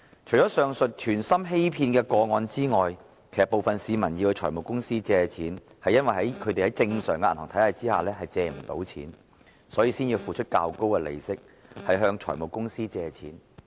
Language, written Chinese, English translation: Cantonese, 除了上述存心欺騙的個案外，部分市民向財務公司借貸，其實是因為他們無法在正常的銀行體系下借貸，所以才付出較高利息向財務公司借貸。, Apart from the case of deliberate deception mentioned just now actually some members of the public borrowed money from finance companies because they were unable to raise any loans within the formal banking system . So they could not but borrow money from finance companies at higher interest rates